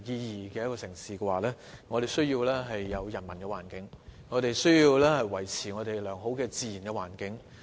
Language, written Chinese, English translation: Cantonese, 要做到這一點，便必需要人文環境及保持良好的自然環境。, To achieve this a humanistic environment is necessary and a good natural environment must be preserved